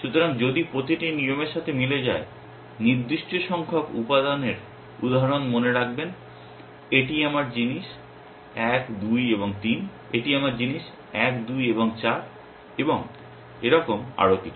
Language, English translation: Bengali, So, if every rule will match certain number of elements remember for example, this is my thing 1, 2 and 3, this is my thing 1, 2 and 4 and so on and so forth